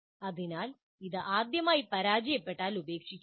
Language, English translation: Malayalam, So do not abandon if it fails the first time